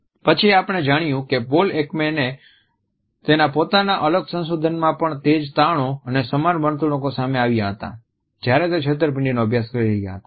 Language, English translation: Gujarati, Later on we find that Paul Ekman in his independent research also came to similar findings and observed similar behaviors while he was studying deception